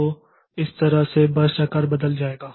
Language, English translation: Hindi, So, that way this burst size will be changing